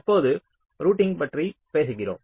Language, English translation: Tamil, and now we are talking about routing